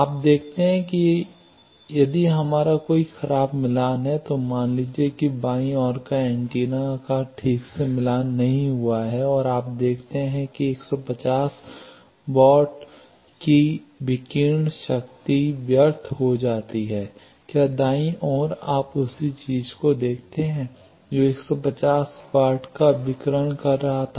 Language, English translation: Hindi, You see that, if we have a poor match, suppose the left side antenna is not properly matched and you see 150 watt radiated power gets wasted, whether in the right side you see the same thing when which was radiating 150 watt the same antenna is now with proper matching is radiating 1500 watt